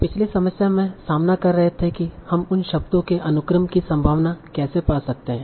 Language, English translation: Hindi, And remember the last problem that we are facing is how do we find a probability of a sequence of words